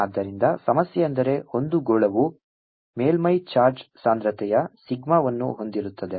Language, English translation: Kannada, so the problem is: a sphere carries surface charge, density, sigma